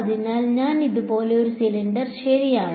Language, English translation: Malayalam, So, I take a cylinder like this ok